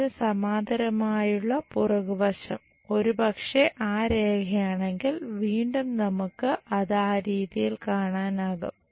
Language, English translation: Malayalam, And the back side parallel to that perhaps if that is the line again we will see it in that way